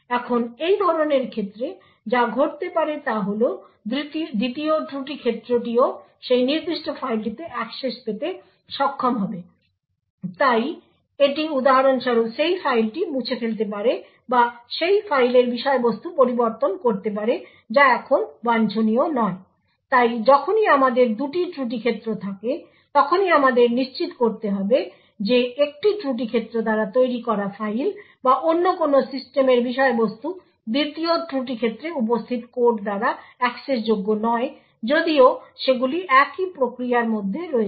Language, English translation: Bengali, Now what could happen in such a case is that the second fault domain would also be able to have access to that particular file, so it could for example delete that file or modify that the contents of that file now this is not what is wanted, so whenever we have two fault domains we need to ensure that files or any other system component that is created by one fault domain is not accessible by the code present in the second fault domain even though all of them are in the same process